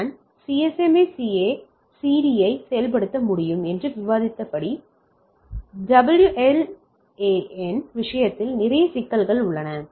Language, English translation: Tamil, So, as we have discussed the WLAN can implementing CSMA/CD there are lot of problems in case of WLAN